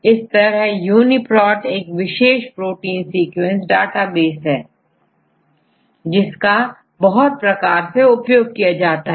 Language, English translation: Hindi, This UniProt is the unique resource for protein sequence databases